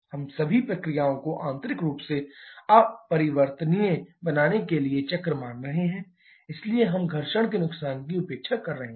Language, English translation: Hindi, We are assuming all the process constituting the cycle to internally irreversible so we are neglecting the frictional losses